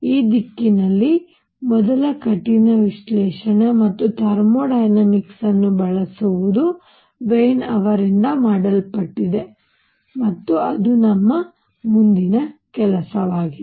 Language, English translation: Kannada, The first rigorous analysis in this direction, again using thermodynamics was done by Wien and that will be our next job to do